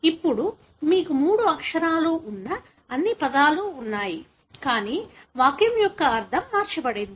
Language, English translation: Telugu, Now, you do have all the words that are three letters, but the meaning of the sentence is altered